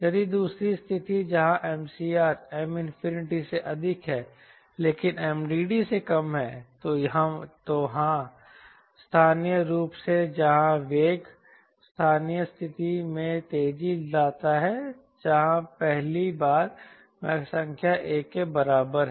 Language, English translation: Hindi, if second condition, where m critical is more than m infinity but less than m drag divergence, then s locally, where the velocity accelerates to a local condition where, for the first time, mach number equal to one